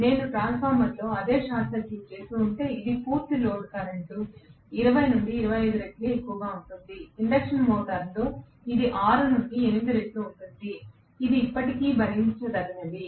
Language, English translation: Telugu, If I had done the same short circuiting in a transformer, it will be 20 to 25 times the full load current where as in an induction motor it is about 6 to 8 times, which still it tolerable